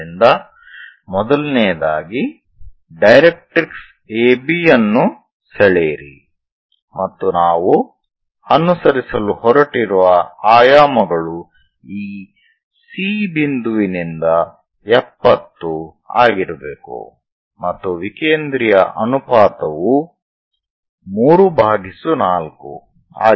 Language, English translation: Kannada, So, first of all, draw a directrix AB and the dimensions what we are going to follow is focus from this C point supposed to be 70 and eccentricity ratio is 3 by 4